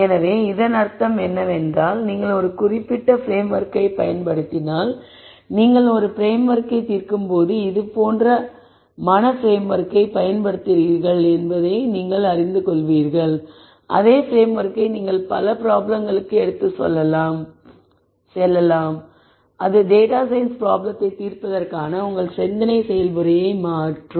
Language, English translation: Tamil, So, what I mean by this is if you use whatever framework it is for a particular type of problem you become aware that you are using such a mental framework when you are solving a problem then you can take the same framework to many different problems then that becomes your thought process for solving data science problems